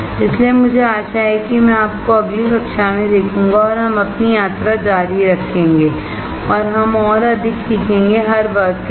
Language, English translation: Hindi, So, I hope I see you in the next class and we will keep our journey on and we learn more with every class